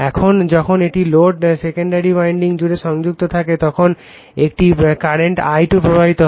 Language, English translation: Bengali, Now, when a load is connected across the secondary winding a current I2 flows right